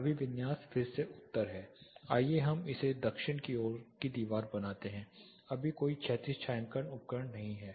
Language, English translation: Hindi, The orientation is again north let us make it is a no for now let it be south facing wall, right now there is no horizontal shading device